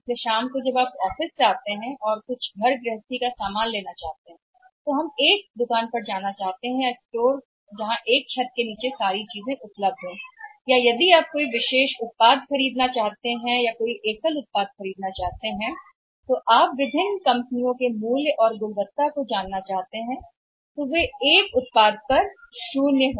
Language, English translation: Hindi, So, in the evening when you come from the office we want to buy something for households other approaches that we want to go to a shop or restore where almost all the things are available at under one roof or even if you want to buy any particular product or to buy single product people want to try or want to know about the quality in the prices of different companies and their products and then they zero in on one product